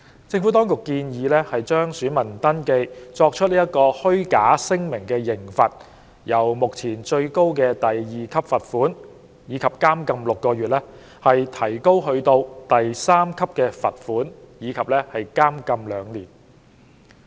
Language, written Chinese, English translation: Cantonese, 政府當局建議加重就選民登記作出虛假聲明的刑罰，由目前最高的第2級罰款及監禁6個月，提高至第3級罰款及監禁2年。, The Administration proposes heavier penalties for making false statements in voter registration with the current maximum penalties of a fine at level 2 and imprisonment for six months being increased to a fine at level 3 and imprisonment for two years